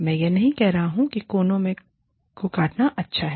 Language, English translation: Hindi, I am not saying, it is good to cut corners